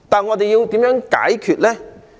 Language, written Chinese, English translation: Cantonese, 我們要如何解決呢？, How are we going to resolve them?